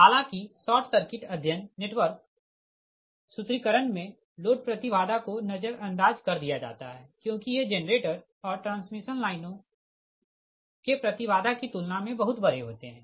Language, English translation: Hindi, however, in formulating short circuit study network, right, your short circuit study the load impedances are ignored because these are very much larger than the impedances of the generator and transmission lines